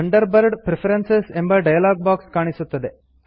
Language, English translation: Kannada, The Thunderbird Preferences dialog box appears